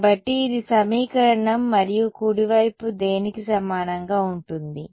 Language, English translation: Telugu, So, this is the equation and what is the right hand side going to be equal to